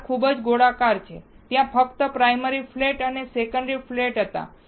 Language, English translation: Gujarati, The edge is very round, only primary flat and secondary flat there were there